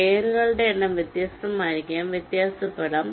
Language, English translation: Malayalam, number of layers may be different, may vary